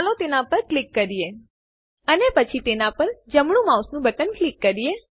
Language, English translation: Gujarati, Let us click on it And then right click on it